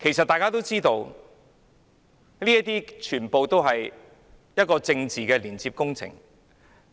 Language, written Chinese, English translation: Cantonese, 大家都知道，這些都是政治工程。, We all know that these are political projects